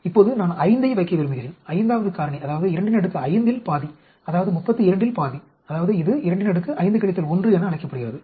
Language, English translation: Tamil, Now, I want to place 5, the 5th factor that is that means half of 2 power 5; that is half of 32, that is it is called 2 power 5 minus 1